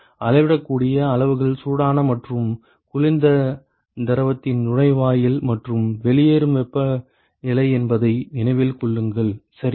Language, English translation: Tamil, Remember that the measurable quantities are the inlet and the outlet temperatures of the hot and the cold fluid ok